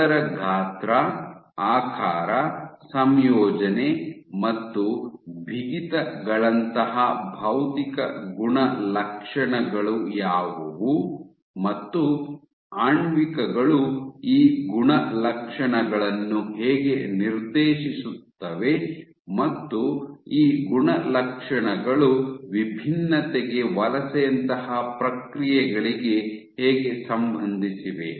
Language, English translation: Kannada, What are its size, shape, composition and properties physical properties like stiffness, and how do molecular players dictate these properties, and how are these properties relevant to processes like migration to differentiation